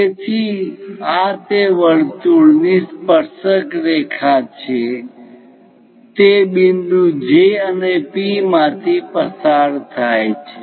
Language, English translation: Gujarati, So, this is the tangent through that circle passing through point J and P